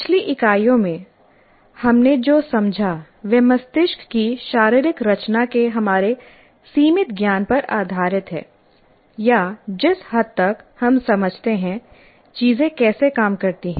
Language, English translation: Hindi, And in this current unit or in the previous units, what we understood is based on our limited knowledge of the anatomy of the brain or how things work to whatever extent we understand